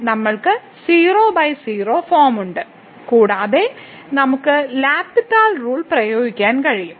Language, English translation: Malayalam, So, we have 0 by 0 form and we can apply the L’Hospital rule